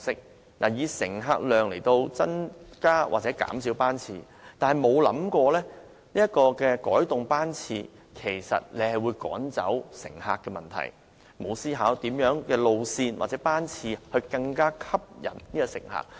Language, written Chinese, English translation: Cantonese, 政府以乘客量為指標，按此增減班次，卻沒有注意到改動班次其實會趕走乘客，也沒有思考過甚麼路線或班次能更吸引乘客。, Using passenger numbers as the criterion the Government adjusts service frequency without noticing the negative effect to patronage . It also has not thought about the kinds of routes or schedules that will attract more passengers